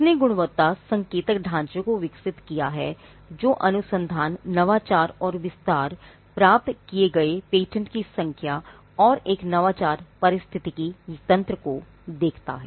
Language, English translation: Hindi, Now, it has developed the quality indicator framework which looks at research innovation and an extension and one of the factors they look at is the number of patents obtained and whether there is an innovation ecosystem